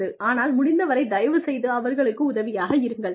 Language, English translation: Tamil, But, as far as possible, please help them out